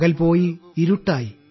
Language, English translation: Malayalam, The day is gone and it is dark,